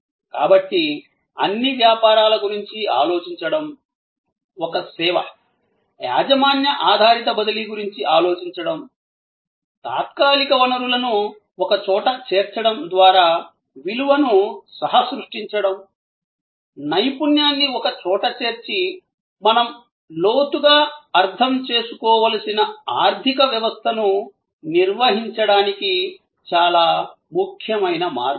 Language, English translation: Telugu, So, thinking of all businesses, a service, thinking of non transfer of ownership oriented, co creation of value by bringing temporarily resources together expertise together is very important way of managing the economy that we have to understand in depth